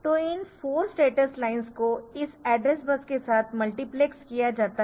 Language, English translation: Hindi, So, this 4 status lines are multiplexed with this address bus